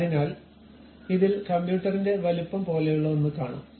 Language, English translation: Malayalam, So, it showed something like a size like computer